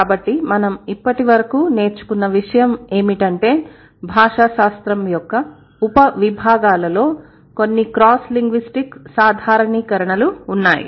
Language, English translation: Telugu, So one thing that we have learned by far, there are certain cross linguistic generalizations in the sub disciplines of linguistics